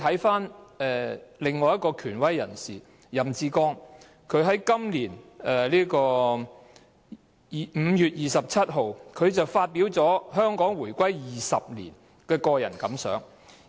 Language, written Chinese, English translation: Cantonese, 此外，權威人士任志剛在今年5月27日對香港回歸20年發表個人感想......, Moreover the authoritative Joseph YAM shared on 27 May this year his personal reflections on the 20 years since the reunification of Hong Kong